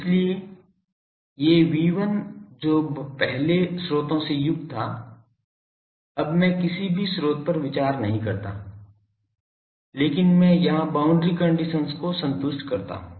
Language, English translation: Hindi, So, these V1 which was earlier containing sources, now I do not consider any sources, but I satisfies the boundary condition here